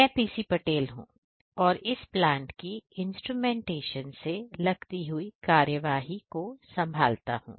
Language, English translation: Hindi, PC Patel who is the instrumentation engineer of this particular plant